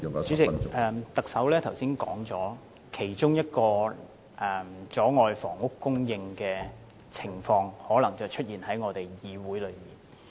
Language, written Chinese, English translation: Cantonese, 主席，特首剛才指出其中一種阻礙房屋供應的情況，可能就出現在本議會裏。, President the Chief Executive pointed out earlier that one of the forces that impeded housing supply might come from the Legislative Council